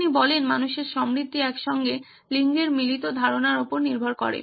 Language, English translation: Bengali, He says human prosperity depends upon ideas having sex combining together